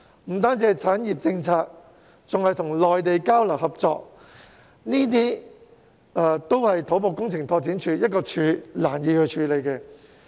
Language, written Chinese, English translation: Cantonese, 除制訂產業政策外，還需與內地交流合作，這些工作都不是土木工程拓展署可以獨力處理的。, The new body is not only responsible for formulating industrial policies but also needs to engage in exchanges and cooperation with the Mainland . Therefore it is not something that CEDD can handle on its own